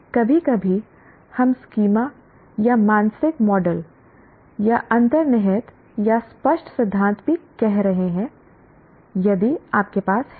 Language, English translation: Hindi, Sometimes we are also calling schemas or mental models or implicit or explicit theories if you have